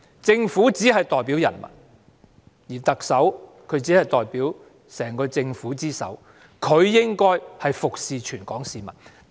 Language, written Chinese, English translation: Cantonese, 政府只代表人民，而特首只是整個政府之首，她應為全港市民服務。, The government only represents the people and the Chief Executive is only the head of the entire government . She should serve the people of Hong Kong